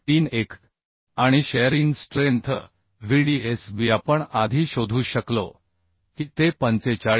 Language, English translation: Marathi, 31 and the shearing strength Vdsb we could find out earlier that is 45